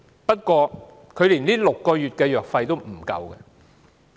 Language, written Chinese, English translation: Cantonese, 不過，她連6個月的藥費也無法支付。, She has to put her hope on this drug but she cannot afford the fee not even for six months